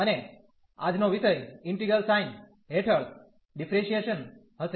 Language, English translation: Gujarati, And today’s topic will be Differentiation Under Integral Sign